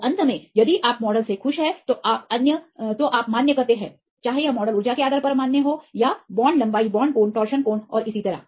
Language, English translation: Hindi, So, finally, if you are happy with the model then you validate, whether this model is valid based on the energy or the bond length bond angle torsion angle and so on